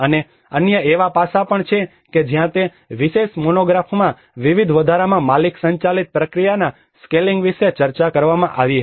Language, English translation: Gujarati, And also there are other aspects where that particular monograph discussed about the scaling up the owner driven process in various addition